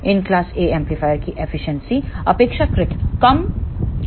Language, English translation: Hindi, The efficiency of these class A amplifier is relatively low